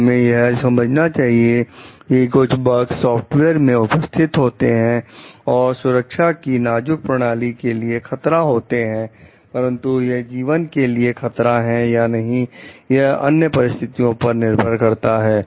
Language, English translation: Hindi, So, we have to understand like some bugs present in the software may threaten in a safety critical system, but whether it will threaten life or not it is dependent on others circumstances as well